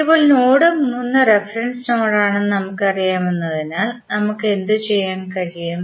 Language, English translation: Malayalam, Now, since we know that node 3 is the reference node so what we can do